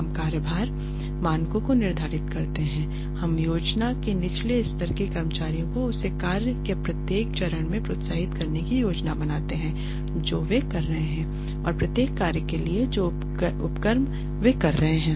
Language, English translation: Hindi, We set the workload standards and we plan to incentivize lower level employees at every stage of the work that they are doing and for every function that they are undertaking